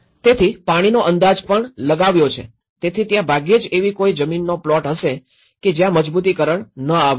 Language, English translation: Gujarati, So, even projected over the water so there is hardly is no plot of land where no reinforcement has come